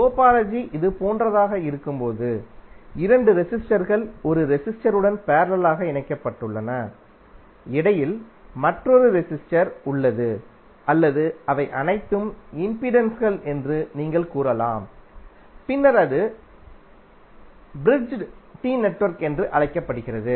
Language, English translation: Tamil, When the topology is like this where two resistances are connected parallelly with one resistor and in between you have another resistor or may be you can say all of them are impedances then it is called Bridged T network